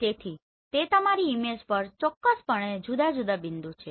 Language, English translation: Gujarati, So it is definitely the different points on your image